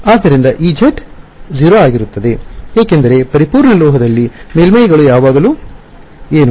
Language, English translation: Kannada, So, e z is going to be 0 because on a perfect metal the surface the fields are always what